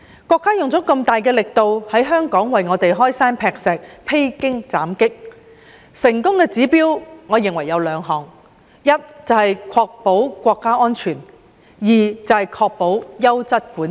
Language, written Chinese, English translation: Cantonese, 國家用了那麼大的力度，為香港開山劈石、披荊斬棘，我認為有兩項成功指標：第一，確保國家安全；第二，確保優質管治。, After strenuous efforts have been made by the country to break new grounds and remove obstacles for Hong Kong I think there are two indicators of success firstly ensuring national security; and secondly ensuring quality governance